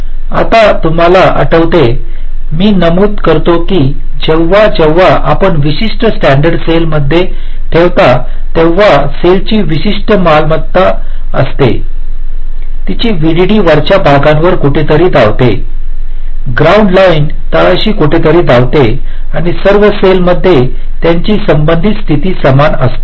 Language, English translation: Marathi, you recall i mentioned that whenever you place a particular standard cell, the cell has a particular property: that its vdd runs somewhere in the top, ground line runs somewhere in the bottom and their relative positions across all the cells are the same